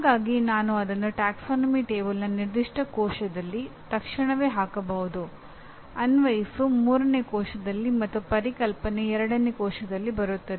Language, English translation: Kannada, So I can immediately put it in the particular cell of the taxonomy table which will be Apply will be 3, Conceptual is 2